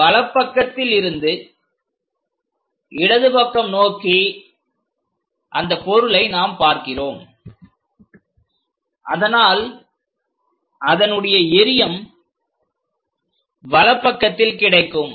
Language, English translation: Tamil, And we are looking from left side towards right side so, object or the projection will come on the right hand side